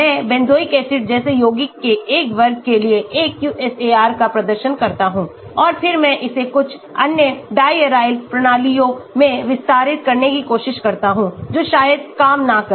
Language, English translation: Hindi, I perform a QSAR for one class of compounds like Benzoic acid and then I try extending it to some other diaryl systems it might not work